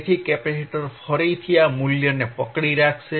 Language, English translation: Gujarati, So, capacitor will hold this value again